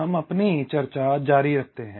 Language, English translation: Hindi, so we continue with our discussion